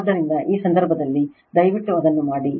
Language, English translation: Kannada, So, in that case, you please do it